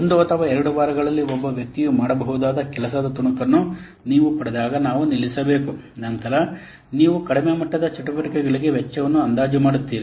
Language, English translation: Kannada, You should stop when you get that what the piece of work that one person can do within one or two weeks, then you estimate the cost for the lowest level activities